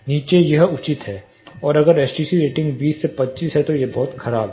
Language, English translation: Hindi, Below that is fair and it is very poor if the STC ratings are 20 to 25